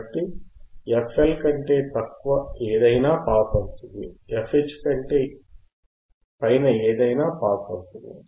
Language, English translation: Telugu, So, anything below f L will pass, anything above f H will pass